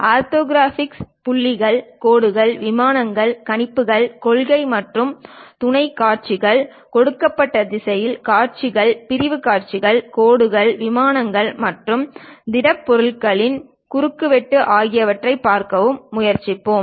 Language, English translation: Tamil, And also we will try to look at orthographic points, lines, planes, projections, principle and auxiliary views, views in a given direction, sectional views, intersection of lines, planes and solids